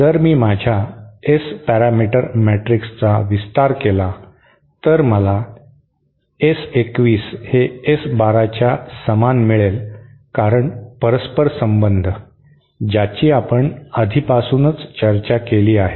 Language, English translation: Marathi, So if I expand my S parameter matrix then I should get this S 2 1 is equal to S 1 2 because of the reciprocity as we have already discussed